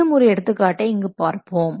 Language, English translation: Tamil, Let's take a small example, see, like this